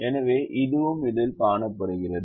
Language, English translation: Tamil, so that is also there that we can see in this